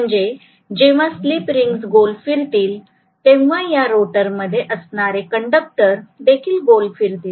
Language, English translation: Marathi, So when the slip rings rotate, the conductors also rotate which are within the rotor